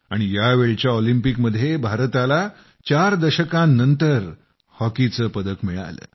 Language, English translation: Marathi, And this time, in the Olympics, the medal that was won for hockey came our way after four decades